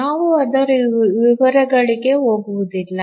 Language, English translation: Kannada, We will not go into details of that